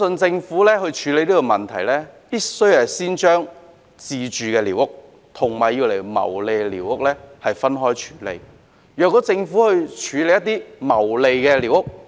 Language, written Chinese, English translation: Cantonese, 政府在處理這個問題時，必須先將自住寮屋和作牟利用途寮屋分開處理。, In dealing with this problem the Government must first distinguish squatters for self - occupation from those for profiteering and deal with them separately